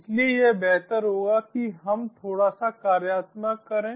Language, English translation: Hindi, so it would be better if we just do a bit of of hand on